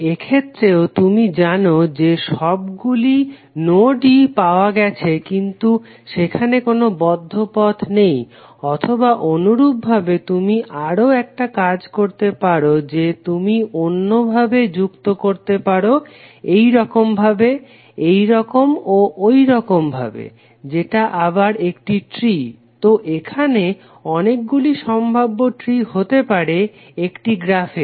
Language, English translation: Bengali, In this case also you know that all the nodes have been traced but there is no closed loop or similarly you can do one more thing that you can connect through some other fashion like this, this and that, that again a tree, So there may be many possible different trees of a graph